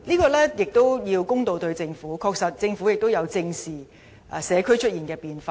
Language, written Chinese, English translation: Cantonese, 我們也應對待政府公道一點，政府確實也有正視社區出現的變化。, We should also be fair to the Government for it has actually addressed squarely the changes in the community